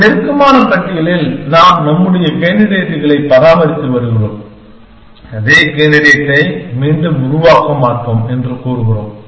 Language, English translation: Tamil, In a close list, we are maintaining our candidates and saying we will not generate the same candidate again